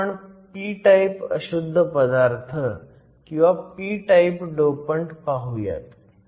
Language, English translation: Marathi, Next we will look at a p type impurity or a p type dopant